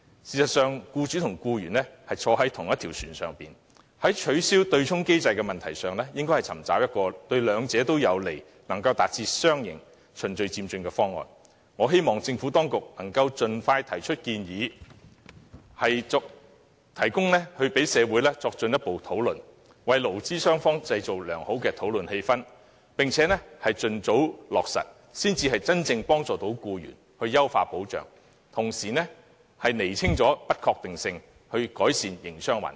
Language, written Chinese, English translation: Cantonese, 事實上，僱主和僱員同坐一條船，在取消對沖機制的問題上，應該尋求一個對兩者有利，能達致雙贏的循序漸進方案，我希望政府當局能夠盡快提出建議，供社會作進一步討論，為勞資雙方製造良好的討論氣氛，並且盡早落實，才能真正幫助僱員、優化保障，同時釐清不確定因素，改善營商環境。, In fact employers and employees are in the same boat . On the abolition of the offsetting mechanism they should seek a progressive proposal which is beneficial to both parties and capable of achieving a win - win situation . I hope the Administration can put forward a proposal expeditiously for further discussion by society create a favourable atmosphere for discussion between employers and employees and implement the proposal expeditiously with a view to genuinely helping employees and enhancing protection while clarifying uncertainties such that the business environment can be improved